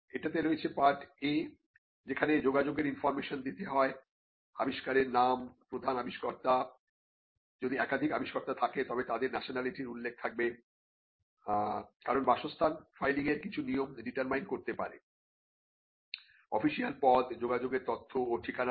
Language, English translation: Bengali, So, there is part a which has the contact information, name of the invention, main inventor, if there are multiple inventors they have to be mentioned nationality, because your residents can determine certain rules of filing, official designation, contact information and address